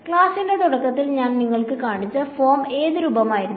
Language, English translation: Malayalam, The form which I showed you at the start of the lecture was which form